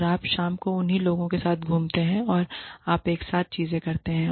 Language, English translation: Hindi, And, you hang out with the same people, in the evening, and you do things together